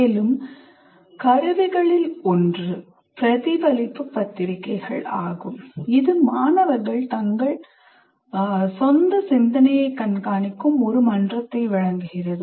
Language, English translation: Tamil, Further, one of the tools is reflective journals providing a forum in which students monitor their own thinking